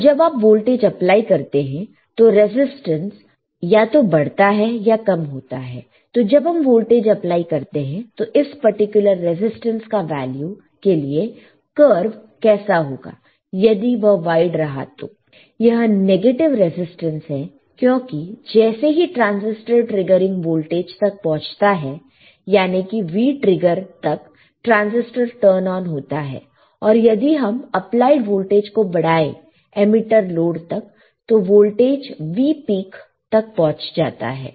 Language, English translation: Hindi, Because when you apply a voltage when you apply a voltage right the resistance should increase or decrease yes of course, particular resistance value right keep on applying voltage what will be the curve of I understand that if they are wide, this is negative resistance because after the transistor has reached the triggering voltage the V trigger, it is now turn on right the transistor is turned on after a while if the applied voltage still increases to the emitter load or lead it will pick out the voltage V peak it will reach here, right